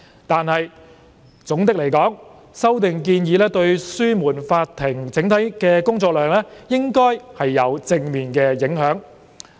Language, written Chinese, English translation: Cantonese, 但是，總的來說，修訂建議對紓緩法庭整體的工作量應有正面的影響。, However overall speaking the proposed amendments should have positive impact to alleviate the overall workload of the Court of Appeal CA